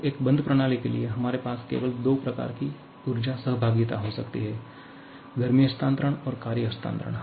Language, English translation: Hindi, Now, as you have mentioned earlier a system can undergo three kinds of energy interaction; heat transfer, work transfer and mass transfer